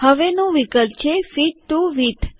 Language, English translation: Gujarati, Next option is Fit to Width